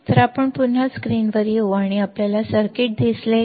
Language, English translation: Marathi, So, Let us come back on the screen and you will see the circuit